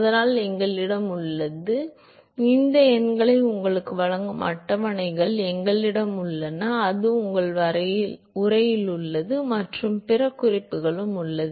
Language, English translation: Tamil, And so, we have; we now have tables which gives you these numbers, it is there in your text and it is also there in other references